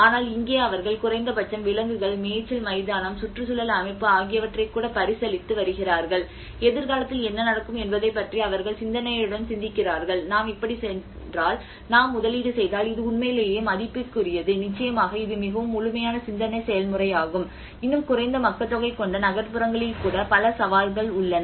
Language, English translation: Tamil, But here they are at least considering even the animals, the grazing grounds, the ecosystem and they are thoughtfully thinking about what happens to the future if we go like this if we invest this was it really worth that is definitely a very thorough thinking process I can say, and still there are many challenges even within that sparsely populated urban areas as well